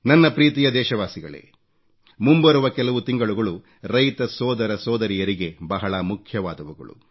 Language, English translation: Kannada, My dear countrymen, the coming months are very crucial for our farming brothers and sisters